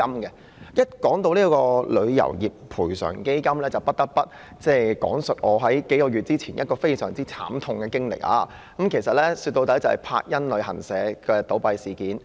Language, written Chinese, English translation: Cantonese, 提到賠償基金，我不得不提數月前一次相當慘痛的經歷，就是柏茵旅遊有限公司倒閉的事件。, Referring to TICF I am compelled to share a very painful experience of a few months ago and that is the closure of Action Travel Services Limited